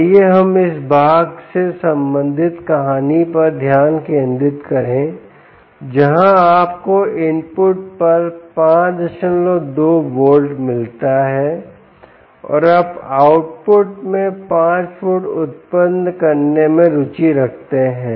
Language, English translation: Hindi, let us just concentrate on story related to this part where you get five point two volts at the input and you are interested in generating five volts at the output